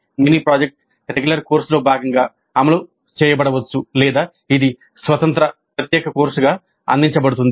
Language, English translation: Telugu, The mini project may be implemented as a part of a regular course or it may be offered as an independent separate course by itself